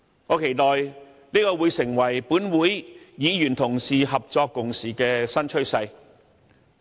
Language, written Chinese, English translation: Cantonese, 我期待這會成為本會議員同事合作共事的新趨勢。, I hope this will become a new trend of Honourable colleagues working together in this Council